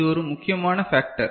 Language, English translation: Tamil, I mean it is a primary factor